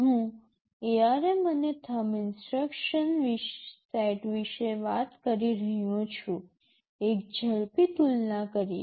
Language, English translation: Gujarati, I am talking about the ARM and Thumb instruction set, a quick comparison